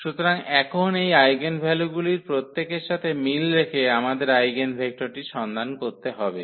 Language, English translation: Bengali, So, having these eigenvalues now corresponding to each, we have to find the eigenvector